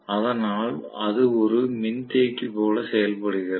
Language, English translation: Tamil, So that it behaves like a capacitor